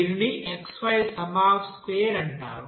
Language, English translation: Telugu, It is called sum squares of xy